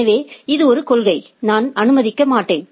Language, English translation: Tamil, So, that is a policy, that I will not allow